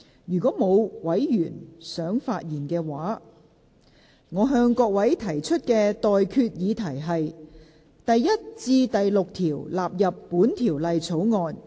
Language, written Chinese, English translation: Cantonese, 如果沒有委員想發言，我現在向各位提出的待決議題是：第1至6條納入本條例草案。, If no Member wishes to speak I now put the question to you and that is That clauses 1 to 6 stand part of the Bill